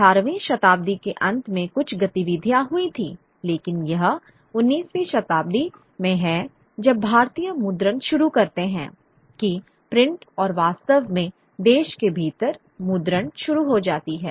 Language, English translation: Hindi, There is some activity towards the end of the 18th century, but it's in the 19th century when Indians start printing that print really becomes, comes of age within the country